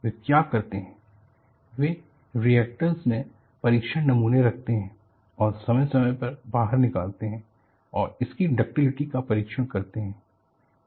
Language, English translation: Hindi, So, what they do is, they keep test specimens in the reactor and take out periodically and tests it is ductility